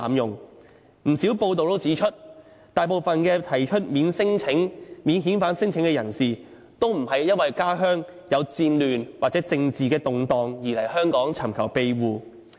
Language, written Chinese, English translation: Cantonese, 有不少報道都指出，大部分提出免遣返聲請的人士，都不是因為家鄉有戰亂，或者政治動盪而來香港尋求庇護。, There are reports that the majority of people making a non - refoulement claim have come to Hong Kong to seek asylum not just because of the outbreak of wars or political instability in their home countries . Many people are attracted by the one - stop services provided by certain syndicates